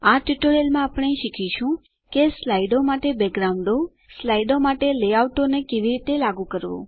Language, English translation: Gujarati, In this tutorial we learnt how to apply Backgrounds for slides, Layouts for slides Here is an assignment for you